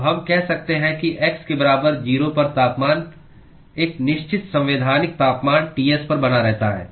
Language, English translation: Hindi, So, we can say that the temperature at x equal to 0 is maintained at a certain constitutive temperature Ts